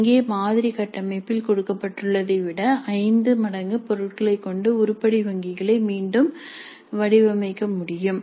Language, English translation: Tamil, So item banks can be designed again with 5 times the number of items as given in the sample structure here